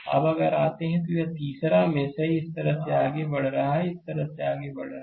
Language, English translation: Hindi, Now if you come to the, this third mesh 3, right, we are moving like this, we are moving like this, right